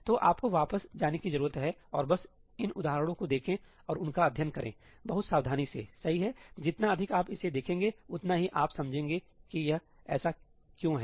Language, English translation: Hindi, So, you need to go back and just look at these examples and study them very very carefully, right, the more you look at it, the more you will understand why it is the way it is